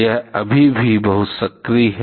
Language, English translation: Hindi, It is still very active